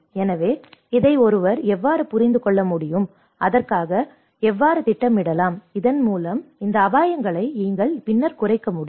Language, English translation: Tamil, So, how one can understand this and how can plan for it so that you can reduce these risks later